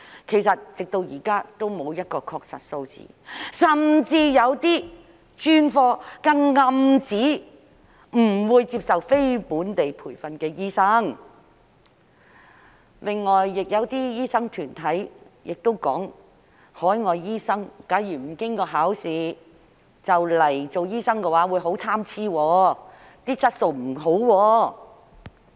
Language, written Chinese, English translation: Cantonese, 其實，直至現在也沒有確實的數字，甚至有些專科更暗指不會接受非本地培訓的醫生，另外亦有些醫生團體表明，假如海外醫生不經考試便來港做醫生的話，質素便會很參差。, In fact there is no definite figure so far . Some specialist departments even imply that they will not accept NLTDs while some doctors unions have indicated that if overseas doctors come to practise in Hong Kong without taking any examination their quality will vary . In fact we all know that before the return of sovereignty nearly half of the doctors in Hong Kong each year were overseas trained doctors OTDs